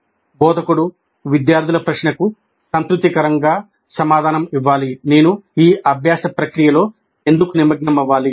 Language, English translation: Telugu, Instructor must satisfactor, satisfactor, answer the student's question, why should I be engaged in this learning process